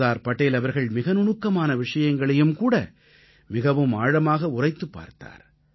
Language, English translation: Tamil, Sardar Patel used to observe even the minutest of things indepth; assessing and evaluating them simultaneously